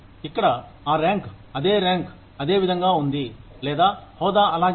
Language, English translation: Telugu, Here, the rank, the name of the rank, remains the same, or, the designation remains the same